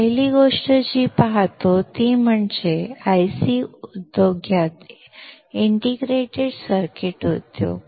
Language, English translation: Marathi, The first thing that we see is that in the IC industry Integrated Circuit industry